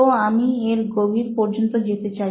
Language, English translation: Bengali, So I just wanted to get to the bottom of it